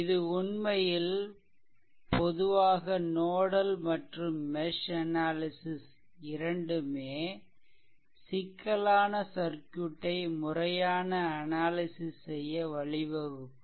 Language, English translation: Tamil, This is actually generally for both nodal and mesh analysis provide a systematic way of analysis and complex circuit right